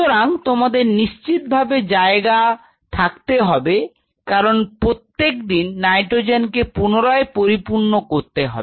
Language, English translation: Bengali, So, you have to have a space because every day you have to replenish nitrogen